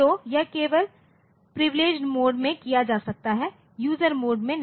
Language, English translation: Hindi, So, this can be done only in the privileged mode not in the user mode